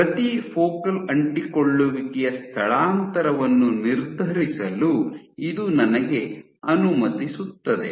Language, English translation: Kannada, So, this would allow me to determine displacement of each focal adhesion